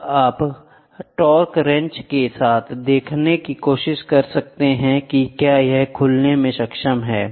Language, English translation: Hindi, Now, you try to see with the torque wrench whether it is able to open the same